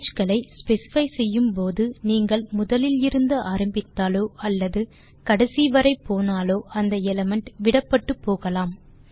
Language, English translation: Tamil, Note that when specifying ranges, if you are starting from the beginning or going up to the end, the corresponding element may be dropped